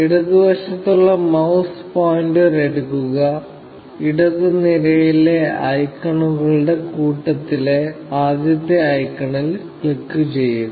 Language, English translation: Malayalam, Take the mouse pointer to the left top, the first icon in the bunch of icons in the left column, and click on the first icon